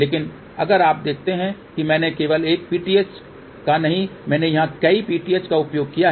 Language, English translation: Hindi, But however, if you see I have not just used a single PTH I have used multiple PTH over here